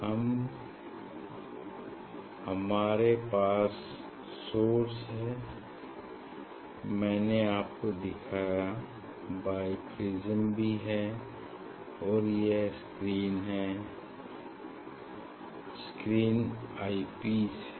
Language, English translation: Hindi, Now, we have source now you have bi prism I have showed you, now this is the screen this screen is eye piece this screen is eye piece